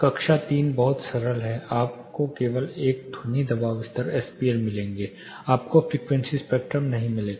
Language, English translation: Hindi, Class III very simple you will only get a sound pressure level SPL; you will not get the frequency spectrum